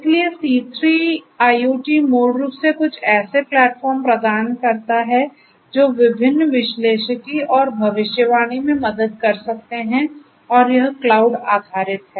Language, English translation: Hindi, So, C3 IoT basically offers some kind of a platform that can help in different analytics and prediction and it is cloud based